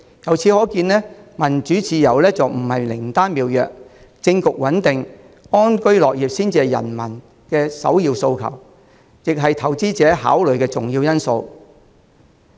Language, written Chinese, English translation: Cantonese, 由此可見，民主自由不是靈丹妙藥，政局穩定、安居樂業才是人民的首要訴求，也是投資者考慮的重要因素。, This reflects that democracy and freedom are not panaceas for all problems . The primary aspiration of the public is to have a stable political situation and to live a peaceful and contented life . And this is also an important consideration for investors